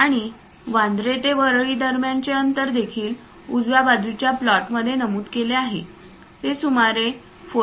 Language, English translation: Marathi, And the distance between Bandra and Worli is also mentioned on the right side plot; it is around 4